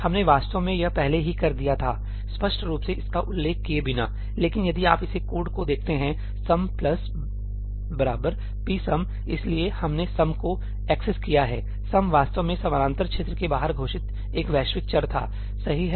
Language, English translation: Hindi, We actually already did this, without explicitly mentioning it, but if you see this code ësum plus equal to psumí, we accessed ësumí; ësumí was actually a global variable declared outside the parallel region, right